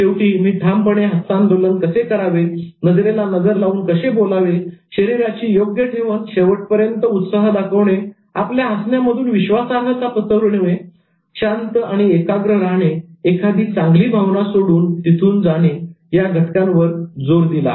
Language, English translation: Marathi, Towards the end I emphasized on firm handshake, eye contact, appropriate posture, showing enthusiasm throughout, smiling, radiating confidence, remaining calm and collected, leaving with a good feeling